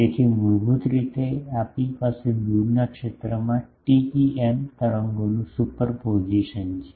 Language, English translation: Gujarati, So, basically we have superposition of TEM waves in the, far zone